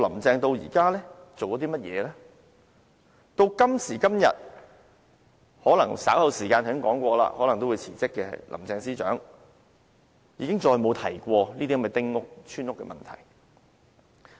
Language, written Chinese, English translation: Cantonese, 直至今時今日，可能稍後時間——我剛才說過——可能稍後辭職的林鄭司長，已經再沒有提及這些丁屋、村屋的問題。, To date or as I said just now the Chief Secretary for Administration Carrie LAM who is likely to resign later on has mentioned nothing about the issue concerning these small houses and village houses